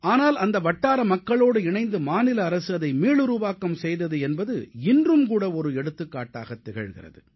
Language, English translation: Tamil, But, the manner in which the local people joined hands with the state Government in renovating it, is an example even today